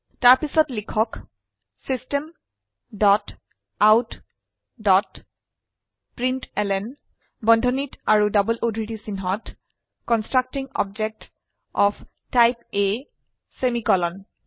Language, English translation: Assamese, Then type System dot out dot println within brackets and double quotes Constructing object of type A semicolon